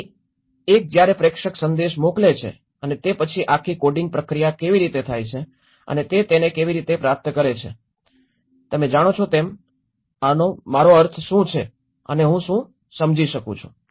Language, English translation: Gujarati, So one when the sender sends a message and then how the whole coding process and how he receives it you know, this whole what I mean and what I understand